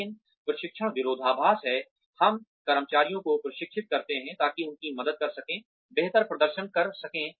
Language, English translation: Hindi, But, training paradox is, we train employees, in order to help them, perform better